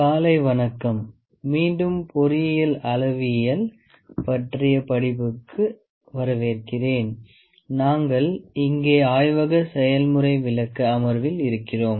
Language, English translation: Tamil, Good morning welcome back to the course on Engineering Metrology and we are in the Laboratory demonstration session here